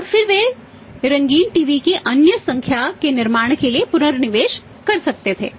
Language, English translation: Hindi, And then they could have reinvested that reinvested that for manufacturing the say other number of the colour TV’s